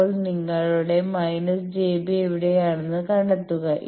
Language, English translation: Malayalam, Now, find out where is your minus j b